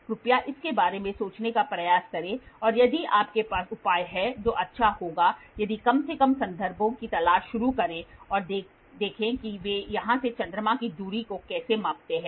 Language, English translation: Hindi, Please try to think about it and if you have solutions that will be nice if not at least start looking for references and see how do they measure the distance from here to moon